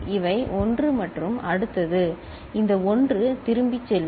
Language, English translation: Tamil, These are 1 and what next this 1 will go back